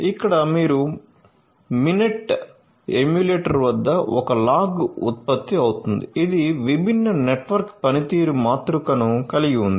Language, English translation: Telugu, So, here you can see at the Mininet emulator a log is generated which contains the different network performance matrix